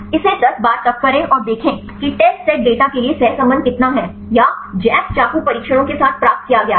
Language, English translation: Hindi, Do it till 10 times and see how far is the correlation for the test data or obtained with the jack knife tests